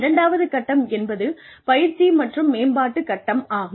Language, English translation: Tamil, The second phase would be, training and development phase